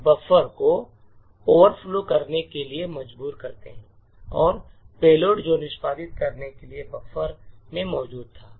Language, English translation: Hindi, We force the buffer to overflow and the payload which was present in the buffer to execute